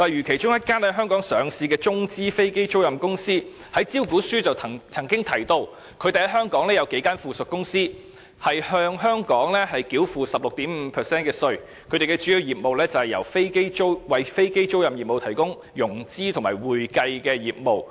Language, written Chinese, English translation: Cantonese, 其中一間在香港上市的中資飛機租賃公司便在其招股書中提到，它在香港擁有數間附屬公司，並向香港繳付 16.5% 稅款，而其主要業務是為飛機租賃業務提供融資及會計服務。, As stated in the prospectus of a Chinese state - owned aircraft lessor listed in Hong Kong it has a couple of subsidiaries in Hong Kong and is now subject to a tax payment of 16.5 % . Its major business is to provide financing and accounting services for aircraft leasing activities